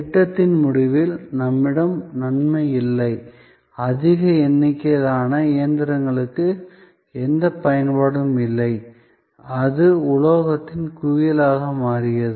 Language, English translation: Tamil, The advantage is that, we do not have at the end of the project; a large number of machines which are of no longer of any use and that became a resting heap of metal